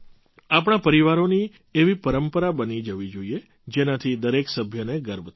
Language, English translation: Gujarati, Such a tradition should be made in our families, which would make every member proud